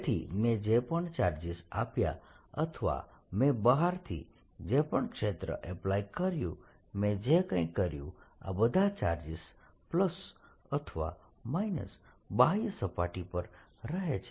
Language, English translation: Gujarati, so whatever charges i gave or whatever field i applied from outside, no matter what i did, all the charges plus or minus decide on the outer surface